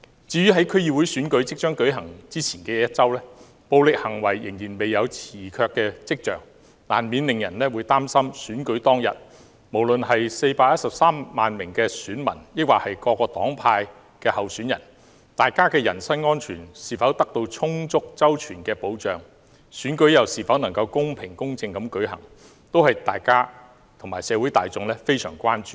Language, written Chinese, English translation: Cantonese, 在區議會選舉即將舉行之前的一周，暴力行為仍然未有退卻的跡象，難免令人擔心選舉當天，不論是413萬名選民或各黨派的候選人，他們的人身安全是否得到充足周全的保障，選舉又是否能夠公平公正地舉行，這些通通都是我們和社會大眾相當關注的。, Violent incidents show no sign of abating in the week before the conduct of the upcoming District Council Election . Inevitably people are worried whether on the day the election the personal safety of the 4.13 million voters and the candidates of different parties and camps is duly and soundly protected and whether the election can be held in a fair and just manner . All these are a matter of great concern to us and to the people